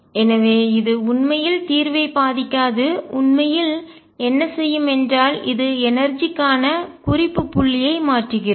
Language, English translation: Tamil, So, it does not really affect the solution all is does is changes a reference point for the energy